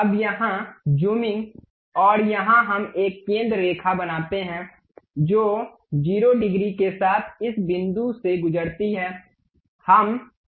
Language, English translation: Hindi, Now, here zooming and here we make a center line which pass through this point with 0 degrees